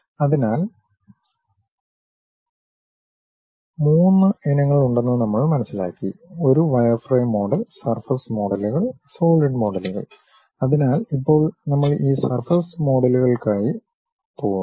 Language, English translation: Malayalam, So, we learned about there are three varieties: one wireframe model, surface models and solid models; so, now, we are going for this surface models